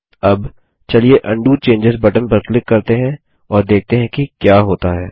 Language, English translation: Hindi, Now, let us click on the Undo Changes button, and see what happens